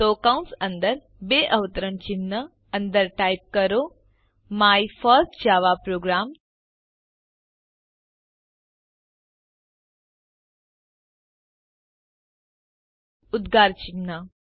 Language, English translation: Gujarati, So Within parentheses in double quotes type, My first java program exclamation mark